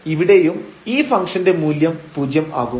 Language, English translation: Malayalam, So, the function will take the value 0